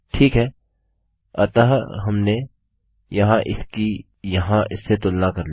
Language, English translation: Hindi, Okay so weve compared this here to this here